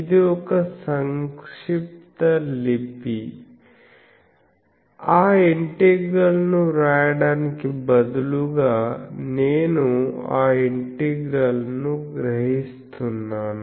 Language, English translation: Telugu, This is just a shorthand that instead of writing that integral I am absorbing that integral